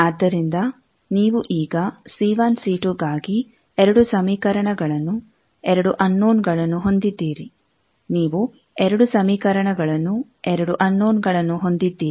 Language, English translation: Kannada, So, you have now 2 equations; for c1 and c2, 2 unknowns; c1 c2, 2 equations, 2 unknowns